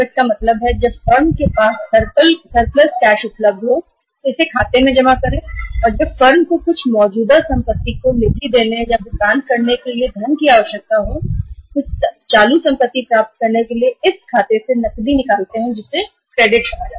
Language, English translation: Hindi, Cash credit limit means when firm has a surplus cash available, deposit in this account and when firm needs funds to fund some current asset or to pay for acquiring some current asset withdraw cash from this account which is called as credit